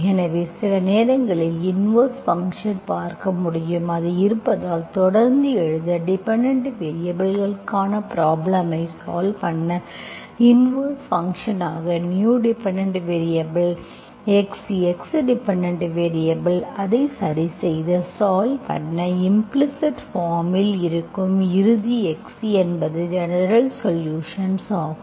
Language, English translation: Tamil, So if you look at the, sometimes you have to look at the inverse function as so it exists, you continue to write, you continue to solve the problem for the dependent variable, new dependent variable x as the inverse function, that is x, x as the dependent variable and solve it and get the solution and whatever x that satisfies the final general solution which is in implicit form is the general solution, okay